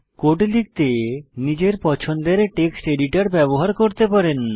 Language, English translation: Bengali, You can use any text editor of your choice to write the code